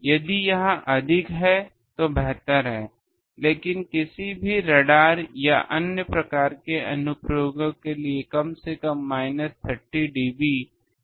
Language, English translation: Hindi, It is better if it is more, but at least minus 30 dB down is necessary for any radar or other type of applications